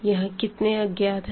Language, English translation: Hindi, How many unknowns do we have here